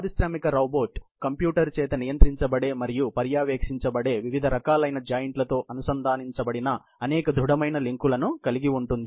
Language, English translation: Telugu, An industrial robot consist of a number of rigid links, connected by joints of different types, controlled and monitored by a computer to a large extent